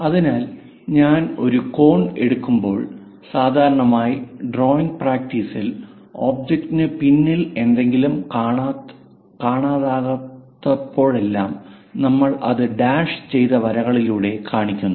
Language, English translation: Malayalam, So, if I am taking a cone, so, usually in drawing practice, anything behind the object which is not straightforwardly visible, we show it by dashed lines